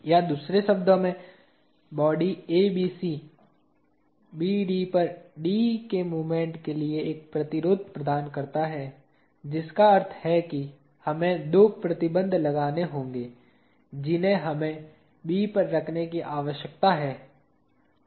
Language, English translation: Hindi, or in other words, the body ABC offers a resistance for moment of D on BD; which means we have to have two restraints that we need to place at B